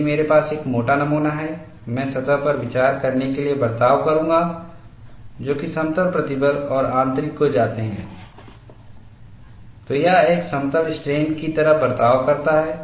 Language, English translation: Hindi, If I have a thick specimen, I will consider the surface to behave like a plane stress and interior when you go, it behaves like a plane strain